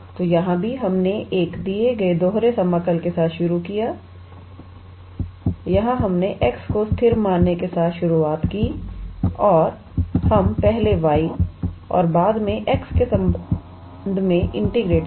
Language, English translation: Hindi, So, here also we started with a given double integral, here we started with treating x as constant and we integrated with respect to y first and afterwards, we integrated with respect to x